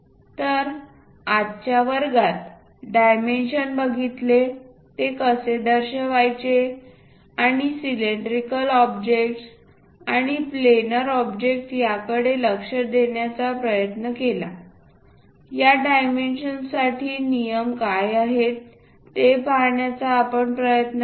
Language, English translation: Marathi, So, in today's class, we tried to look at dimensions, how to represents them and for cylindrical objects and also planar objects, what are the few rules involved for this dimensioning we tried to look at